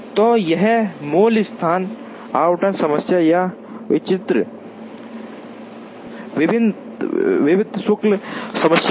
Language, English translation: Hindi, So, this is the basic location allocation problem or a fixed charge problem